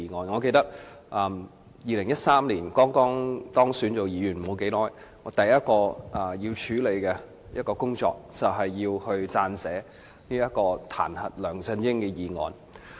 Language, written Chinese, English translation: Cantonese, 我記得在2013年，我當選成為立法會議員不久，第一項要處理的工作，就是撰寫彈劾梁振英的議案。, I recall that in 2013 soon after I was elected a Legislative Council Member the first task I had to do was draft a motion to impeach LEUNG Chun - ying